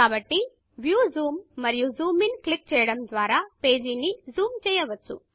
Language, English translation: Telugu, So lets zoom into the page by clicking on View Zoom and Zoom in